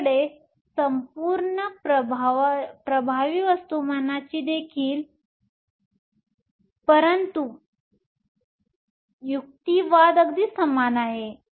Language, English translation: Marathi, You also have a whole effective mass, but the argument is very similar